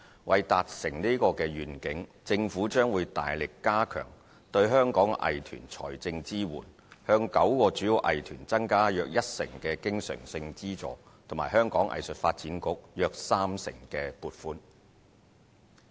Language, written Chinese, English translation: Cantonese, 為達成此願景，政府將會大力加強對香港藝團的財政支援，向9個主要藝團增加約一成的經常性資助及香港藝術發展局約三成撥款。, To accomplish this vision the Government will strengthen the financial support to Hong Kongs arts groups . The recurrent provision to nine major arts groups will be increased by about 10 % and the funding allocated to the Hong Kong Arts Development Council will be increased by about 30 %